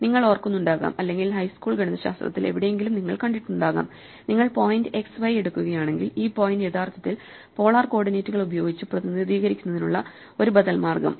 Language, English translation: Malayalam, So, you may remember or you may have seen somewhere in high school mathematics that if you take the point x, y then an alternative way of representing where this point is to actually use polar coordinates